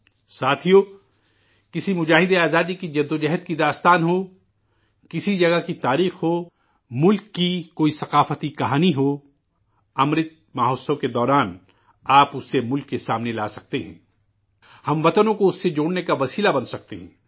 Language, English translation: Urdu, Friends, be it the struggle saga of a freedom fighter; be it the history of a place or any cultural story from the country, you can bring it to the fore during Amrit Mahotsav; you can become a means to connect the countrymen with it